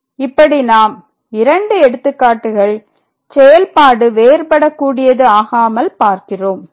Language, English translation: Tamil, So, there is a point here where the function is not differentiable